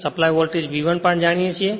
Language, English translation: Gujarati, In this supply voltage is V 1 right